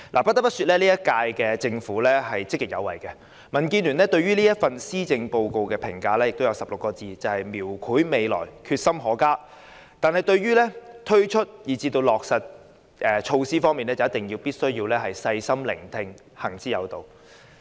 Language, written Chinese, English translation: Cantonese, 不得不說，本屆政府積極有為，民建聯對這份施政報告的評價是16個字，便是"描繪未來，決心可嘉"，而對於推出以至落實措施時則必須"細心聆聽，行之有道"。, I feel obliged to say that the current Government is proactive . DABs evaluation of this Policy Address boils down to these words It depicts the future and shows a commendable determination . In launching and implementing the measures it should listen with care and act with propriety